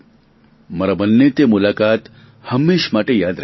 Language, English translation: Gujarati, I will remember that meeting forever